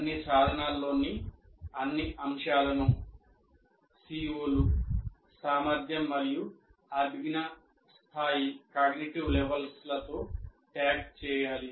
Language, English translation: Telugu, The all items in all instruments should be tagged with COs, competency and cognitive levels